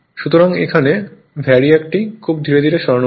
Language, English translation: Bengali, So, that VARIAC you have to move it very slowly